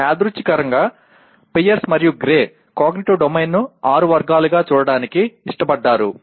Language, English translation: Telugu, Incidentally Pierce and Gray preferred to look at the Cognitive Domain also as six categories